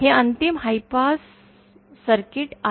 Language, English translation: Marathi, This is a final high pass circuit